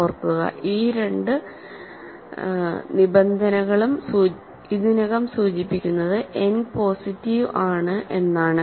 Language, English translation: Malayalam, So, remember, these two conditions already imply that n is positive